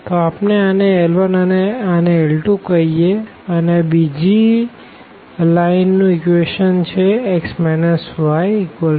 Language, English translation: Gujarati, So, we are calling this L 1 and here this is L 2 the equation of the second a line which is given by x minus y is equal to 1